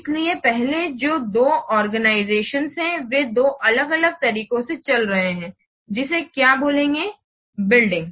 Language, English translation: Hindi, So previously the two organizations they were running in two different what's building